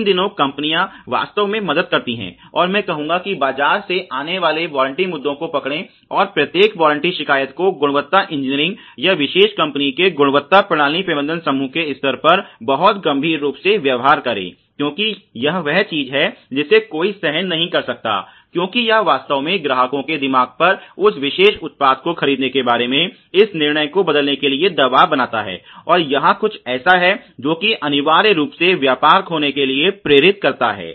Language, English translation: Hindi, These days the companies really are help and done I would say arresting the warranty issues which come from the market, and each and every warranty complaint is treated very severely at the level of the quality engineering or the quality systems management group of particular company, because that is something that one cannot afford because this really creates pressure on the customers mind to change this decision about buying that particular product and this is something that is essentially amounting to losing business ok